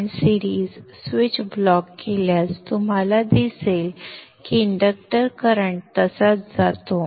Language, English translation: Marathi, But the switch, if it blocks, then you will see that the inductor current goes like that